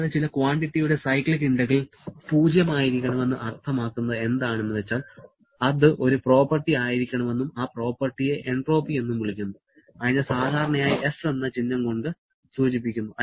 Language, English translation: Malayalam, Also, cyclic integral of some quantity to be 0 does mean that that has to be a property and that property is called entropy, which is generally denoted by the symbol S